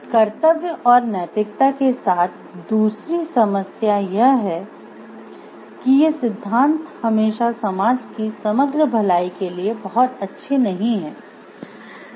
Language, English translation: Hindi, The second problem with duty and right ethics is that these theories don't always account for the overall good of society very well